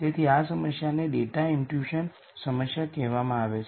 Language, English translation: Gujarati, So this problem is called the data imputation problem